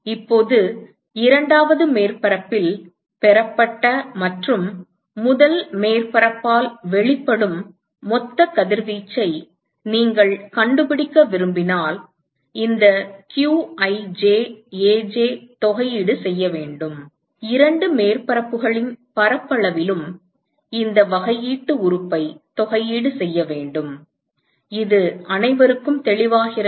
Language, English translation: Tamil, Now, if you want to find the total radiation that is received by the second surface and that emitted by the first surface, we simply have to integrate this qij Aj, we integrate this differential element over the area of both the surfaces is that cleared everyone alright